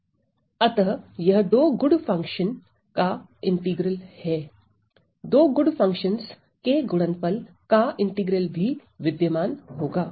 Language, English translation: Hindi, So, this is a good function integral of two good functions, integral of the product of two good functions will also exists